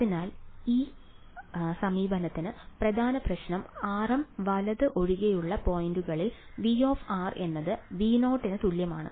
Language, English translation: Malayalam, So, the problem main problem with this approach is that we are not enforcing V of r is equal to V naught at points other than r m right